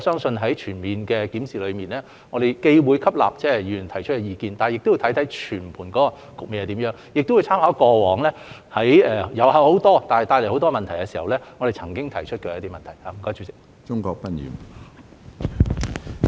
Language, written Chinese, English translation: Cantonese, 就此，在檢視時，我們既會吸納議員提出的意見，亦會考慮全盤局面，並參考我們過往在遊客眾多帶來各種問題時提出的事項。, In this connection we will consider Members opinions in conjunction with the big picture as well as the past concerns over problems brought by massive tourists in our review